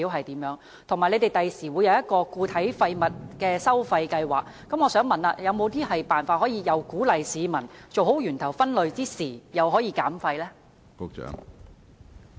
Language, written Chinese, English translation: Cantonese, 此外，當局將來會推出一項都市固體廢物收費計劃，我想問有沒有一些辦法既可以鼓勵市民做好源頭分類，又可以減廢呢？, And since the authorities will introduce a municipal solid waste charging scheme in the future can I ask whether there are any ways that can both encourage waste separation at source and reduce waste?